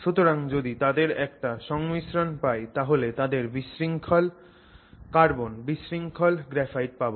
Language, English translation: Bengali, So, if you have a combination of that then we call that disordered carbon, disordered graphite